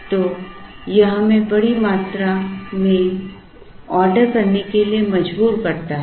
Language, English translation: Hindi, So, it forces us to order larger quantities